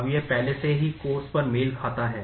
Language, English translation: Hindi, Now it already matches on the course